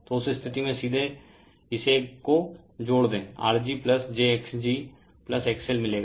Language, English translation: Hindi, So, in that case you directly add this one, you will get R g plus j x g plus X L